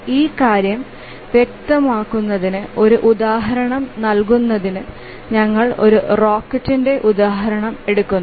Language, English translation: Malayalam, Just to give an example, to make this point clear, we will take the example of a rocket